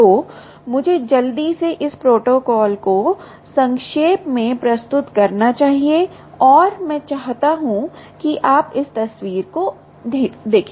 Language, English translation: Hindi, so let me quickly summarize this protocol and i want you to look at this picture